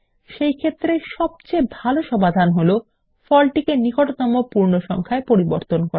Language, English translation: Bengali, The best solution is to round off the result to the nearest whole number